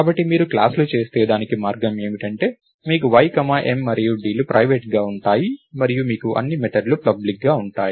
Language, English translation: Telugu, So, if you do classes, the way to do that is you have y, m and d as private and you have the all the methods as public